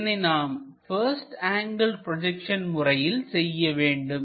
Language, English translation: Tamil, That we have to represent by first angle projection technique